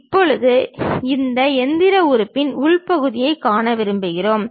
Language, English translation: Tamil, Now, we would like to see the internal portion of that machine element